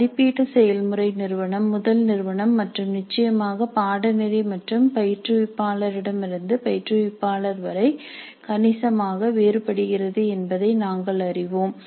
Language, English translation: Tamil, We know that the assessment process varies considerably from institute to institute and from course to course and from instructor to instructor also